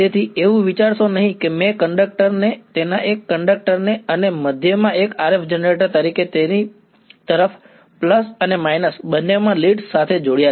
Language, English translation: Gujarati, So, don’t think that I have split the conductor its one conductor and in the middle as connected one RF generator both the leads to it plus and minus